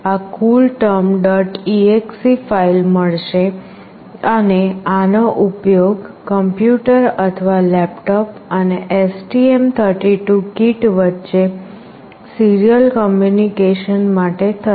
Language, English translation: Gujarati, exe file and this will be used for the serial communication between the PC or laptop and the STM32 kit